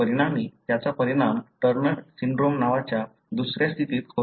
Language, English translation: Marathi, As a result, it results in another condition called Turner Syndrome